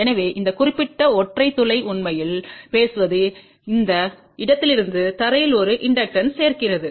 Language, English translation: Tamil, So, this particular single hole actually speaking adds inductance from this point to the ground point ok